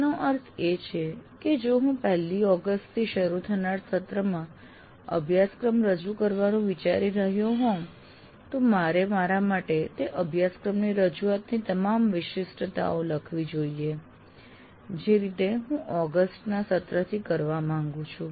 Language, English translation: Gujarati, That means if I am planning to offer a course, let's say in the coming semester from August 1st, I should write for myself all the specifics of the offering of that course the way I want to do from the August term